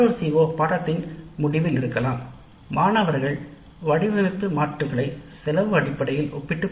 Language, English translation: Tamil, Another CO2 may be at the end of the course students will be able to compare design alternatives based on cost